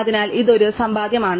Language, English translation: Malayalam, So, this is one saving